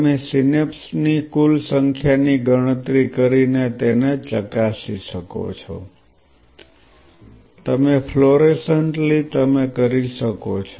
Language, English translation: Gujarati, You can validate it by counting the total number of synapses, you can do that by fluorescently labeling the synapses you can